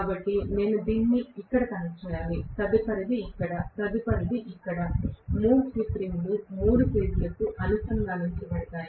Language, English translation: Telugu, So, I have to connect this here, the next one here, the next one here, 3 slip rings will be connected to the three phases